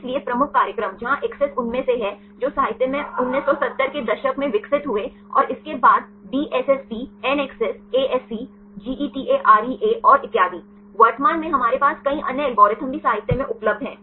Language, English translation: Hindi, So, the major programs where ACCESS is the one which are develop early in the literature may be 1970s and followed by DSSP NACCESS ASC GETAREA and so on, currently we have several other algorithms are also available in the literature